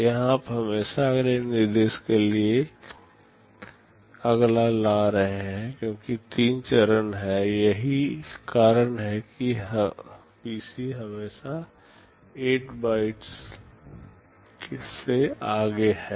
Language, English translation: Hindi, Here you are always fetching the next to next instruction because there are three stages that is why the PC is always 8 bytes ahead